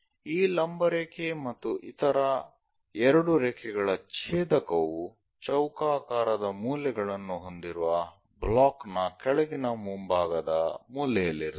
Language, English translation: Kannada, The intersection of this vertical and two others would be at lower front corner of a block with square corners we will see